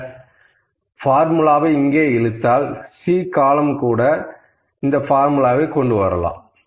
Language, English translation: Tamil, If I drag this formula here, it will also bring the formula to the C column